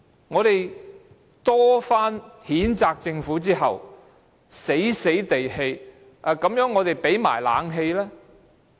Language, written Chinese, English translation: Cantonese, 我們多番譴責政府後，政府才被迫提供冷氣。, It was only after our repeated censure that the Government agreed to provide air - conditioning unwillingly